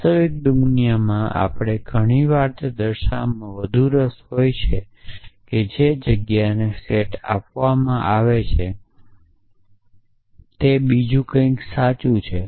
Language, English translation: Gujarati, In the real world we are often more interested in showing that given a set of premises that something else is true